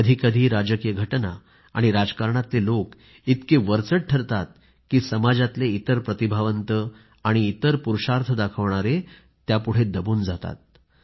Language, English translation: Marathi, At times, political developments and political people assume such overriding prominence that other talents and courageous deeds get overshadowed